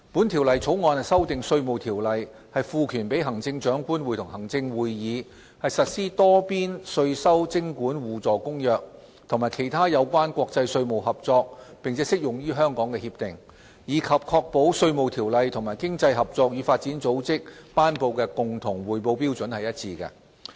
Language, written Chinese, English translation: Cantonese, 《條例草案》修訂《稅務條例》，賦權行政長官會同行政會議實施《多邊稅收徵管互助公約》及其他有關國際稅務合作並適用於香港的協定，以及確保《稅務條例》與經濟合作與發展組織頒布的共同匯報標準一致。, The Bill amends the Inland Revenue Ordinance to empower the Chief Executive in Council to give effect to the Multilateral Convention on Mutual Administrative Assistance in Tax Matters and other agreements on international tax cooperation that apply to Hong Kong and to ensure the alignment of the Inland Revenue Ordinance with the common reporting standard promulgated by Organisation for Economic Co - operation and Development OECD